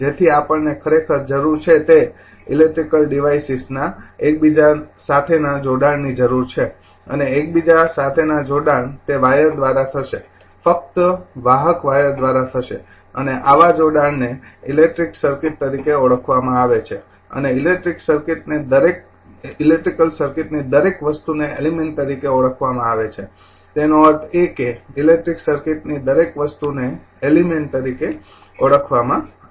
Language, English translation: Gujarati, So, what we need actually we require an interconnection of electrical devices and interconnection it will be through wires only conducting wires only and such interconnection is known as the electric circuit and each element of the electric circuit is known as your element; that means, each component of the electric circuit is known as an element right